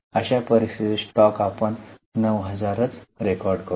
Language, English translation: Marathi, In such scenario, that item of stock we will record at 9,000